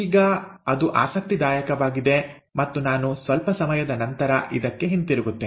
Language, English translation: Kannada, Now that is interesting, and I will come back to this a little later